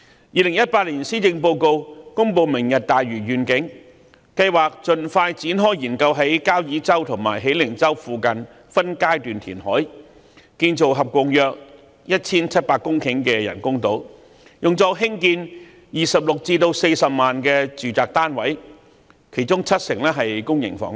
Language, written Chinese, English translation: Cantonese, 2018年施政報告公布"明日大嶼願景"，計劃盡快展開研究在交椅洲和喜靈洲附近分階段填海，建造合共約 1,700 公頃的人工島，用作興建26萬至40萬個住宅單位，其中七成是公營房屋。, The Government announced the Lantau Tomorrow Vision in the 2018 Policy Address which proposed to commence expeditiously a study on phased reclamation near Kau Yi Chau and Hei Ling Chau for the construction of artificial islands with a total area of about 1 700 hectares for building 260 000 to 400 000 residential units of which 70 % being public housing